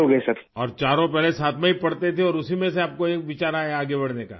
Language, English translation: Urdu, And all four used to study together earlier and from that you got an idea to move forward